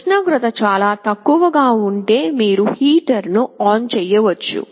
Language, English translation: Telugu, If the temperature is very low, you can turn ON a heater